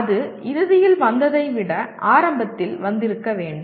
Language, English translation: Tamil, That ought to have come in the beginning rather than at the end